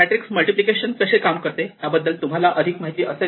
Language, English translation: Marathi, We look at the problem of matrix multiplication